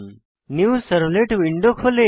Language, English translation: Bengali, A New Servlet window opens